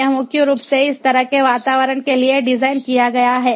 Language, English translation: Hindi, it is designed mainly for such kind of environments